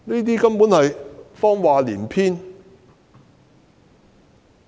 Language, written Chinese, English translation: Cantonese, 她根本是謊話連篇。, She was simply telling lies one after another